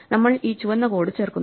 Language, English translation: Malayalam, So, we just add this red code